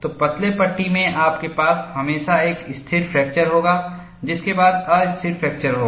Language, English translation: Hindi, So, in thin panels, you will always have a stable fracture, followed by unstable fracture